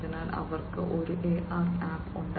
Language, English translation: Malayalam, So, they have an AR app